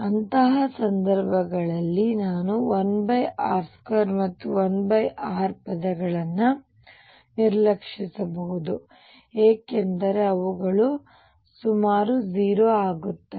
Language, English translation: Kannada, In such cases I can ignore 1 over r square and 1 over r terms because they will become nearly 0